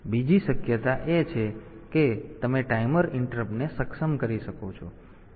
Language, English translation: Gujarati, Other possibility is you can enable the timer interrupt